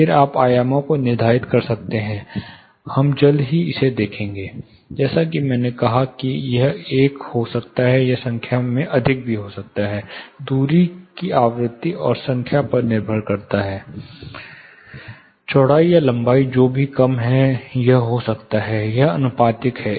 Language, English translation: Hindi, Again you can determine the dimensions, we will look at it shortly, as I said it can be one it can be more in numbers, depends on the frequency and number of the distance, the width or length which ever you know, is shorter it might happen or it is proportional